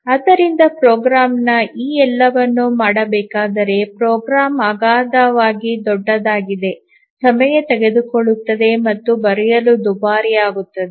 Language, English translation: Kannada, If your program has to do all these then the program will be enormously large and it will be time consuming and costly to write